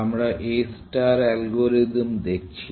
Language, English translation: Bengali, We are looking at the A star algorithm